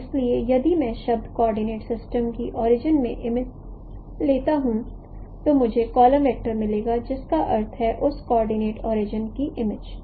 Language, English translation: Hindi, So if I take the image of the origin of the world coordinate system, I will get the column vector P4, which means p4 is the image of that coordinate origin